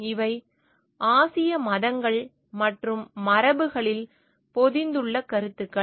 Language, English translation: Tamil, These are the concepts which are embedded in the Asian religions and traditions